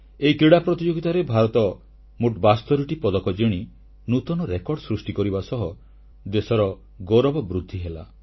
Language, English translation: Odia, These athletes bagged a tally of 72 medals, creating a new, unprecedented record, bringing glory to the nation